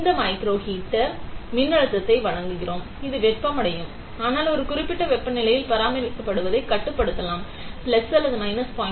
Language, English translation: Tamil, This microheater we will supply voltage this microheater and it will be heated up; and it can be controlled to be maintained at a particular temperature, let us say plus or minus 0